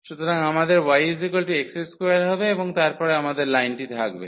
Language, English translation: Bengali, So, we have y is equal to x square and then we have the line